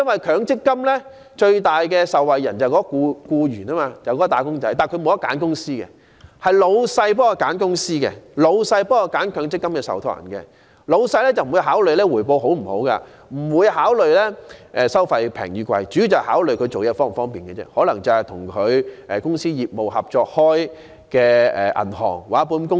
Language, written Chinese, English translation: Cantonese, 強積金最大的受惠人是僱員或"打工仔"，但他們不能選擇強積金受託人，而是老闆代他們選擇的，而老闆是不會考慮回報好壞及收費高低，主要考慮是處理僱員強積金的工作是否方便而已。, The MPF System is supposed to benefit mostly the employees or wage earners but they cannot choose MPF trustees who are chosen for them by their bosses and their bosses would not consider whether the returns are good or bad or whether the fees are high or low; they would mainly consider whether the work in handling MPF for employees is convenient or not